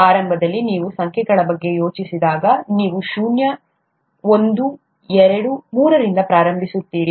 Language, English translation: Kannada, Initially when you think of numbers, you start from zero, one, two, three